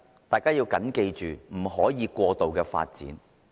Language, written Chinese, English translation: Cantonese, 第一，不可以過度發展。, First we should avoid excessive development